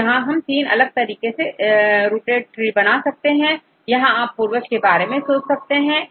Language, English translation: Hindi, There are 3 different ways you can have the rooted trees if you think about the ancestor